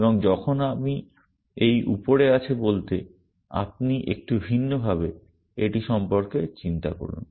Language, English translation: Bengali, And when I say hanging above this, this has to sort of make you think about it slightly differently